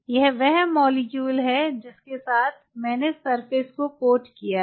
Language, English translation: Hindi, this is the molecule i have quoted, the surface